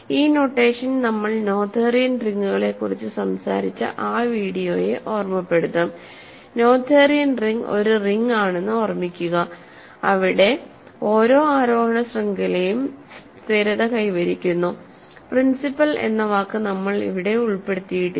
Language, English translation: Malayalam, So, this notation should remind you of the video when we were talking about Noetherian rings, recall that a Noetherian ring is a ring where every ascending chain of ideals stabilizes, we did not put the word principal there